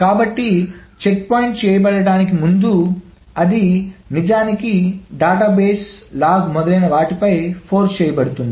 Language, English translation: Telugu, So, before the checkpoint is being done, it is actually forced on the database